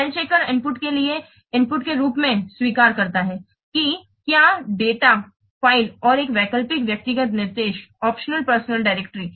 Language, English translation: Hindi, The spell checker accepts as input word, a document file and an optional personal directory file